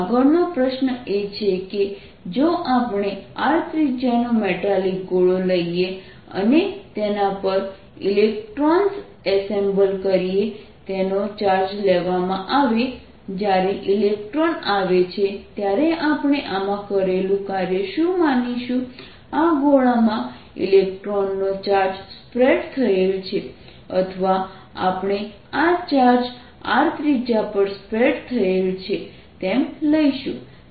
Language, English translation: Gujarati, next question is: if we take a metallic sphere of radius r and it is charged by assembling an electrons on it, the total work done is what we are going to assume in this, that when the electron comes it is kind of the charge of an electrons is spread over this sphere, or we are going to take that this charge is spread over capital radius r